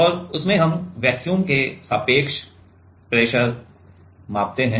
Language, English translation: Hindi, And in that we measure pressure relative to vacuum